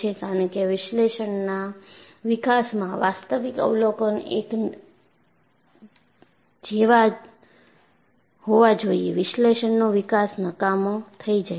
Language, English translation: Gujarati, Because analytical development should match with actual observation; otherwise the analytical development is useless